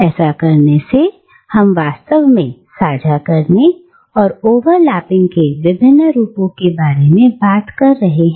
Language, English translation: Hindi, In doing so, we are actually talking about various forms of sharing and overlapping